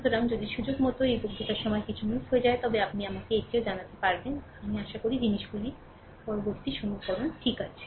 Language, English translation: Bengali, So, if by chance it is miss during this lecture, you will also let me know that I have missed that hopefully hopefully things are ok next equations, right